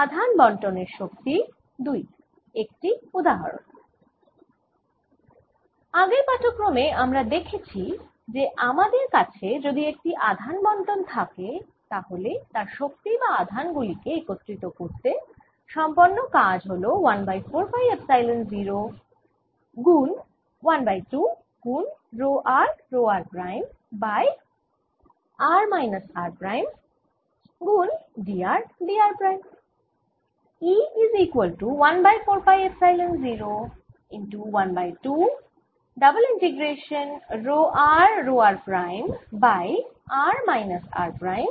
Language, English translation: Bengali, in the previous lecture we saw that if i have a distribution of charge then the energy of this or the work done in assembly, this charge is given by one over four pi, epsilon, zeroone, half row, r row, r prime over r minus r prime d r d r prime